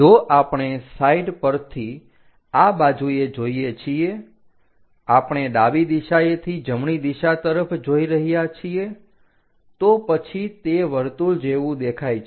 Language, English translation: Gujarati, If we are looking from this side on the side, we are looking from left direction all the way towards the right direction, then it looks like a circle